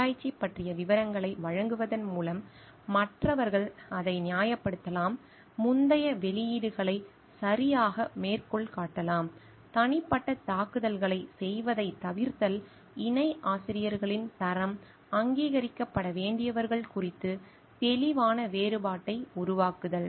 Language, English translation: Tamil, Providing details about research, so that others can replicate it with justification, citing previous publications properly, refraining from doing personal attacks, creating clear distinction concerning those whose quality as co authors are need to be acknowledged